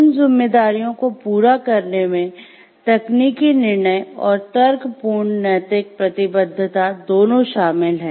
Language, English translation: Hindi, Pursuing those responsibilities involves exercising both technical judgment and reasoned moral convictions